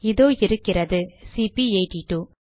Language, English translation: Tamil, There you are, this is cp82